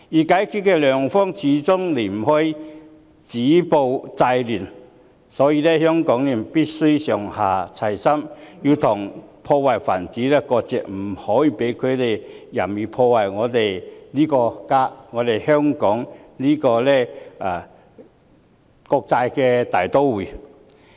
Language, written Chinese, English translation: Cantonese, 解決的良方，始終離不開止暴制亂，所以香港人必須上下齊心，跟破壞分子割席，不可以讓他們任意破壞我們這個家、香港這個國際大都會。, At the end of the day stopping violence and curbing disorder remains a best resolution . Hong Kong people must therefore stand united break ranks with the wreakers and disallow them to arbitrarily wreck our home this international metropolis of Hong Kong